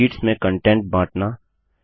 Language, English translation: Hindi, Sharing content between sheets